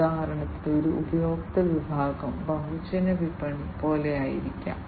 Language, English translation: Malayalam, For example, one customer segment could be something like the mass market